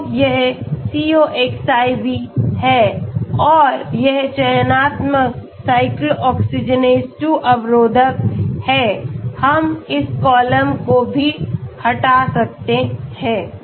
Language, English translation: Hindi, Yeah this is a coxib, This is a selective cyclooxygenase inhibitor okay